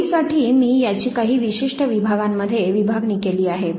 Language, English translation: Marathi, For convenience I have broken it into certain segments